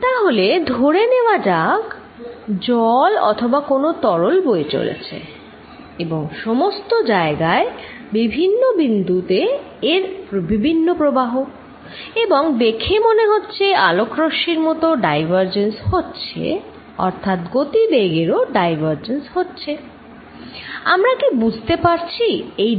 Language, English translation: Bengali, So, let us say this water or a fluid is flowing and all over the place it has a different current at different points and looks like light rays diverging that this velocity also diverging can we understand what this divergence means, can I give it definite meaning